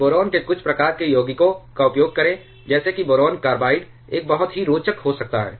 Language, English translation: Hindi, So, use some kind of compounds of boron something like a boron carbide can be a very interesting one